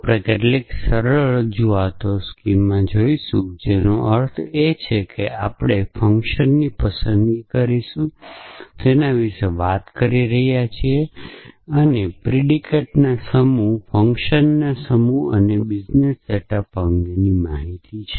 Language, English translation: Gujarati, So, we will assume some simple representation schema which means the choice of the functions at we are talking about a set of predicates a set of functions and the set up business